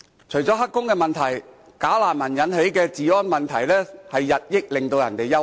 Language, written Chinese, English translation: Cantonese, 除了"黑工"問題，"假難民"引起的治安問題，日益令人憂慮。, Illegal employment aside the security problems caused by bogus refugees are getting more and more worrying